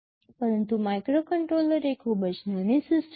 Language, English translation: Gujarati, But a microcontroller is a very small system